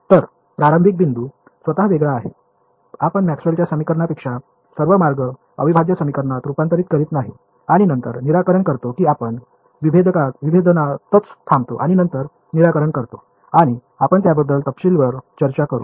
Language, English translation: Marathi, So, the starting point itself is different, from Maxwell’s equation you do not convert all the way to an integral equation and then solve you stop at the differential form itself and then solve and we will discuss in detail about it